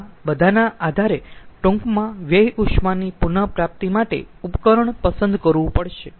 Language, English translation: Gujarati, based on all these, one has to select a waste heat recovery device